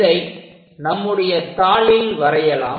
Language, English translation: Tamil, Let us do it on the sheet